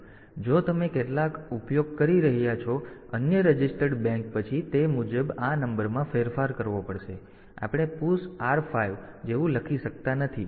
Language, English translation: Gujarati, So, if you are using some other registered bank then accordingly this number has to be modified, but we cannot write like push R 5